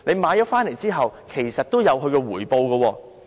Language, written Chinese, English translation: Cantonese, 回購後其實也會有回報。, There is actually a return after such a buyout